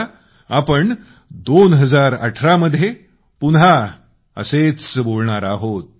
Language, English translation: Marathi, We shall converse again in 2018